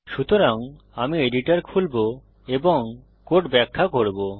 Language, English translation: Bengali, So, Ill open the editor and explain the code